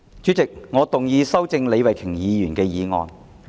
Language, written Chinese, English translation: Cantonese, 主席，我動議修正李慧琼議員的議案。, President I move that Ms Starry LEEs motion be amended